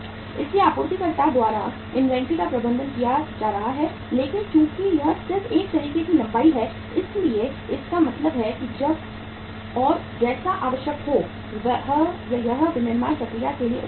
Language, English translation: Hindi, So inventory is being managed by the supplier but since it is a just a ways length so it means as and when it is required it is available to the manufacturing process